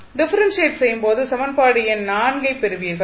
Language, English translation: Tamil, So, when you again differentiate this equation what you will get